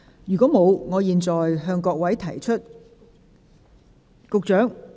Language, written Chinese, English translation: Cantonese, 如果沒有，我現在向各位提出......, If not I now put the question to you Secretary do you wish to speak?